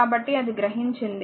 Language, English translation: Telugu, So, it absorbed power